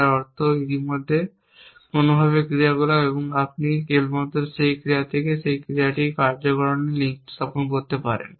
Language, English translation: Bengali, which means as already action some way and you can just establish causal link from that action to this action provide it